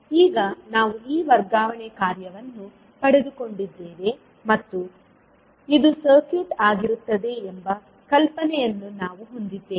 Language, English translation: Kannada, So now we have got this transfer function and we have the idea that this would be circuit